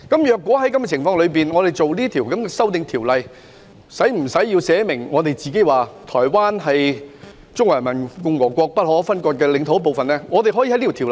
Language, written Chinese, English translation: Cantonese, 在這種情況下，我們制定《條例草案》時，是否需要訂明台灣是中華人民共和國不可分割的領土的一部分？, When we enact the Bill under such circumstances is it necessary to stipulate that Taiwan is an inalienable part of the Peoples Republic of China? . No